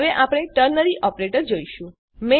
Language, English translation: Gujarati, Now we shall look at the ternary operator